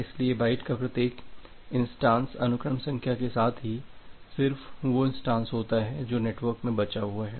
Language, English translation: Hindi, So, every instances of a byte with the sequence number is only one such instances outstanding in the network